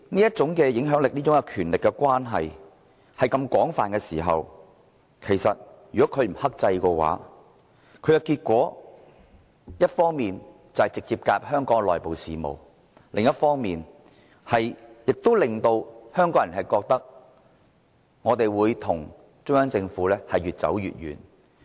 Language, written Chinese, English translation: Cantonese, 這種影響力、這種權力所觸及的範圍非常廣泛，如果他們不克制，直接介入香港的內部事務，只會令香港人與中央政府的關係越走越遠。, Such influence and power cover a very wide scope and if LOCPG does not exercise restraint and directly intervenes in the internal affairs of Hong Kong the relationship between Hong Kong people and the Central Government will become more and more distant